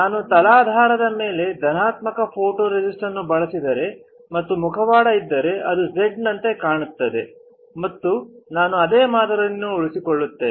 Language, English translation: Kannada, If I use positive photoresist on the substrate and if I have a mask which looks like Z, then I will retain the similar pattern itself